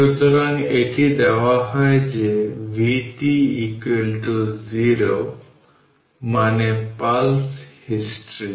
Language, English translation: Bengali, So, it is it is given vt is 0 for t less than 0 that is pulse history